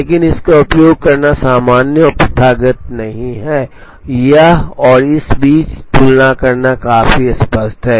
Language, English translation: Hindi, But, it is not common and customary to use this; it is fairly obvious making a comparison between this and this